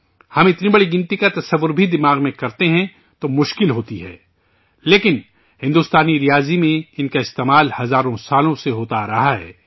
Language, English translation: Urdu, Even if we imagine such a large number in the mind, it is difficult, but, in Indian mathematics, they have been used for thousands of years